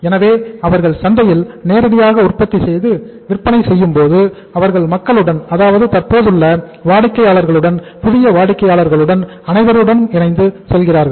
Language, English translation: Tamil, So when they are directly manufacturing and selling in the market they remain connected to the people, existing as well as the new buyers